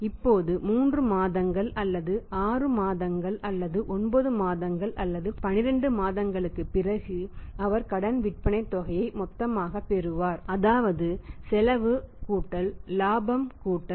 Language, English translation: Tamil, Now after 3 months after 3 months or 6 months or 9 months or 12 months he will receive the credit sales amount total amount right that is a cost + profit + loading factor